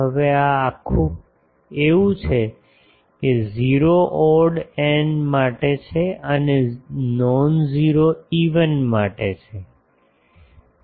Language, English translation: Gujarati, Now, this integral is 0 for odd n and non zero for even m